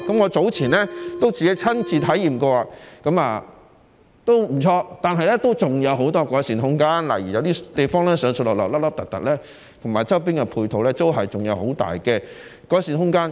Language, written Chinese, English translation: Cantonese, 我早前亦曾親自體驗，路線不錯，但還有很多改善空間，例如有些地方上落不平，以及周邊配套有很大的改善空間。, I personally experienced it earlier . The route is good but there is still much room for improvement . For example some places are rugged and the ancillary facilities have much room for improvement too